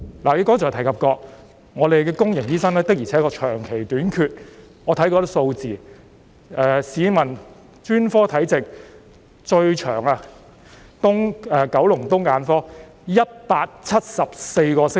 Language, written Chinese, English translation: Cantonese, 你剛才提及，公立醫院醫生的確長期短缺，我亦看過一些數字，市民輪候專科門診時間最長的是九龍東聯網的眼科，需要174個星期。, Just now you have mentioned that there is indeed a shortage of doctors in public hospitals for a long period of time . I have also come across some figures and found that the longest waiting time for specialist outpatient clinics is the Department of Ophthalmology of the Kowloon East Cluster which takes 174 weeks